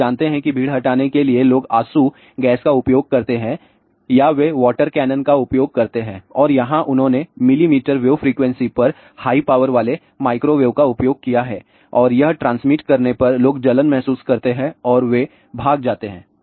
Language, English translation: Hindi, So, you know that for crowd dispersal people do use tear gas or they use water canon and here they have use high power microwave at millimeter way frequency and by transmitting that people feel the burning sensation and they run away